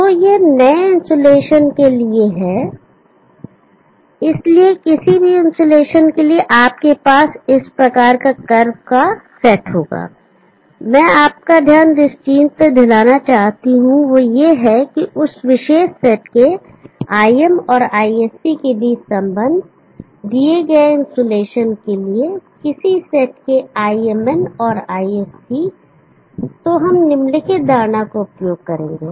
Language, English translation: Hindi, So this for the new insulation, so for any insulation you will have this type of set of curves what I would like to bring you are attention to is this the relationship between the IM and ISC of that particular set IMN and ISC of a particular set for the given insulation